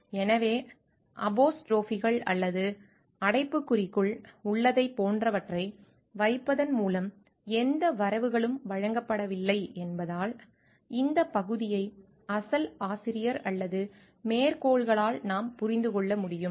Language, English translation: Tamil, So, because there is no credit given by putting of like the either in terms of apostrophes or brackets so, that we can understand this portion is by the original author or quotations